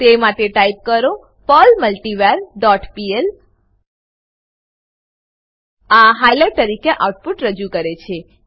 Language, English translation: Gujarati, by typing perl multivar dot pl This will produce an output as highlighted